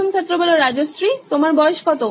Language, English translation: Bengali, How old are you Rajshree